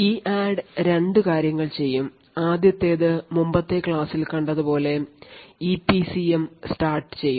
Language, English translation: Malayalam, So EADD will do 2 things first it will initialize the EPCM as we have seen in the previous lecture